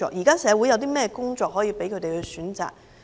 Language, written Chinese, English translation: Cantonese, 現時社會有甚麼工作，可供他們選擇？, What kinds of jobs are currently available in society for them to choose?